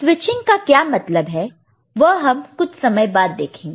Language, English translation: Hindi, By switching what we mean that we shall see little later